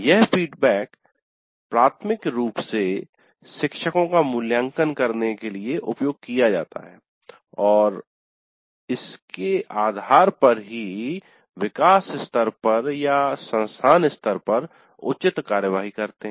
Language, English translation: Hindi, This feedback is primarily used to evaluate the faculty and based on that take appropriate actions at the department level or at the institute level